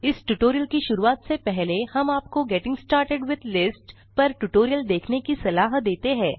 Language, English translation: Hindi, Before beginning this tutorial,we would suggest you to complete the tutorial on Getting started with Lists